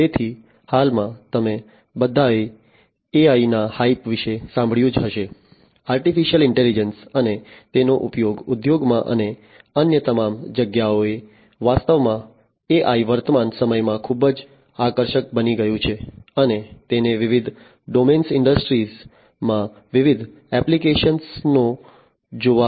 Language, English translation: Gujarati, So, at present all of you must have heard about the hype of AI: Artificial Intelligence and its use in the industries and everywhere else in fact, AI has become very attractive in the present times and it finds different applications in different domains industries inclusive